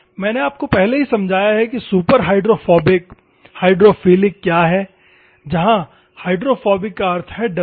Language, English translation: Hindi, I have already explained to you what is superhydrophobic, hydrophilic where hydrophobic means fearing